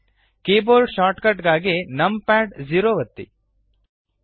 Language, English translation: Kannada, For keyboard shortcut, press numpad 0